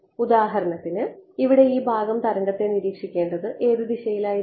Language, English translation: Malayalam, So, for example, this part over here what all should be in what direction should it observe the wave